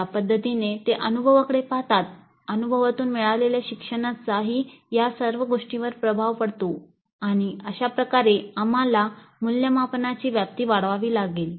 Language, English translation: Marathi, So they will look at the experience, the learning the gain from the experience will all be influenced by this and thus we have to expand the scope of assessment